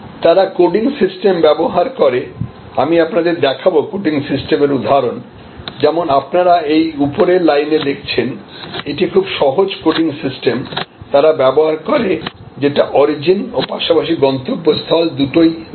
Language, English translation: Bengali, They use coding systems, I will show you the example of coding system as you see on the top line, this is the very simple coding system, they use which shows the origin as well as the destination